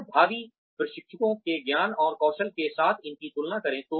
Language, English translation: Hindi, And, compare these, with the prospective trainee